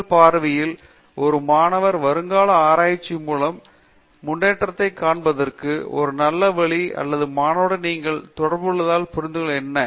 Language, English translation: Tamil, In your view, what is a good way to look at progress in research from a student prospective or as I know as you interact with the student